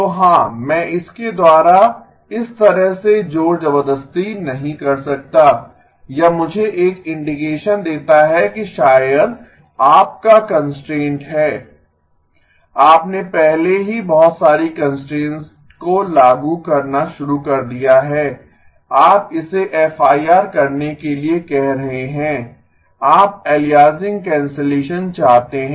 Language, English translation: Hindi, So yes I cannot do brute force way though it gives me an indication that maybe your constraint is, you already started imposing too many constraints, you are asking it to be FIR, you want aliasing cancellation